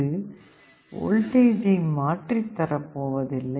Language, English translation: Tamil, This is a voltage divider circuit